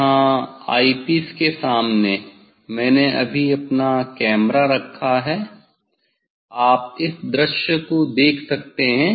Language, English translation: Hindi, here in front of IP s I have just put my camera you can see this filled of view